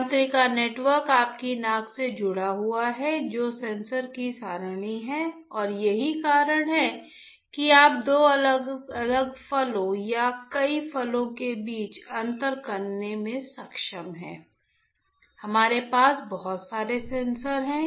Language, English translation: Hindi, The neural network is connected with your nose which are array of sensors and that is why you are able to distinguish between two different fruits or in fact many fruits not only that we are blessed to have lot of sensors